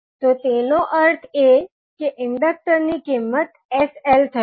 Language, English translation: Gujarati, So, it means that this value of inductor will be sl